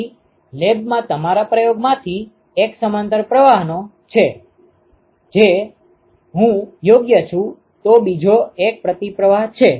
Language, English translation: Gujarati, So, one of your experiments in the lab is of parallel flow, if I am right, the other one is a counter flow